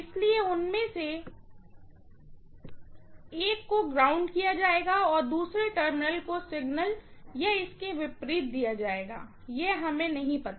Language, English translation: Hindi, So, one of them will be grounded and the other terminal will be given to the signal or vice versa, we do not know, right